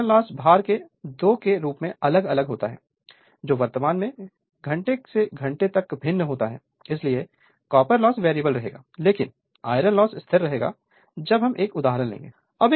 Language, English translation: Hindi, And copper loss vary as square of the load current from hour to hour varies right so, copper loss variable, but iron loss will remain constant we will see when we take one example right